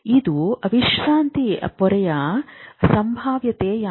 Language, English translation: Kannada, This is the resting membrane potential